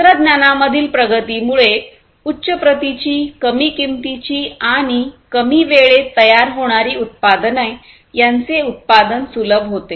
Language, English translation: Marathi, So, advancement in technology basically facilitates manufacturing with higher quality products, lower cost products and products which are manufactured in reduced time